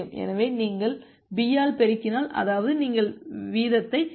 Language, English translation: Tamil, So, if you are multiplying by b; that means, you are dropping the rate